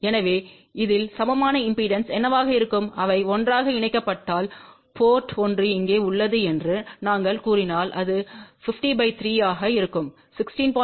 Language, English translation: Tamil, So, what will be the equivalent impedance at this point if they are combined together and we say that the port one is here then it will be 50 divided by 3 and that will be 16